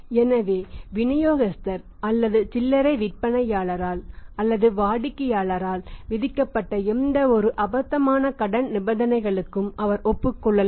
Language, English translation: Tamil, So, he may agree on any kind of the absurd credit conditions imposed by the distributor or by the retailer or maybe sometime by the customer